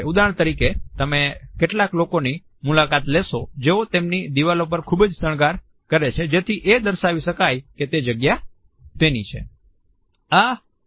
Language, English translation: Gujarati, For example, you would come across some people who put lot of decoration on their walls so, that the space can be designated as their own